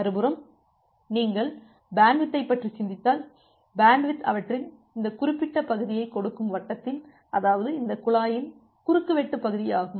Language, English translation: Tamil, On the other hand, if you just think about the bandwidth, bandwidth gives the area of their, this particular circle; that means, what is the cross section area of this pipe